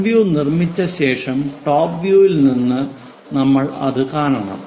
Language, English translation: Malayalam, After constructing front view, we have to see it from top view